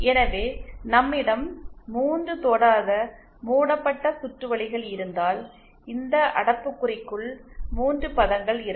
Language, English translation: Tamil, So, if we have 3 non touching loops, we will have 3 terms within this bracket